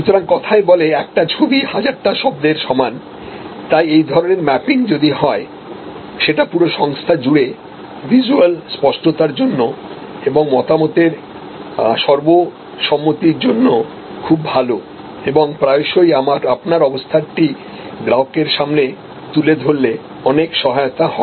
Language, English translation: Bengali, So, as it says it to no one picture is what 1000 words, so this kind of mapping if therefore, very good for visual clarity and consensus of views across the organization and it often helps actually to portray to the customer, where you are